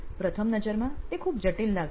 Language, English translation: Gujarati, At first glance it may sound very complicated